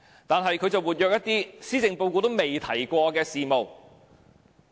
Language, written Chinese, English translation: Cantonese, 但是，他卻積極進行一些施政報告沒提及的事務。, However he has been actively pursuing matters not mentioned in the Policy Address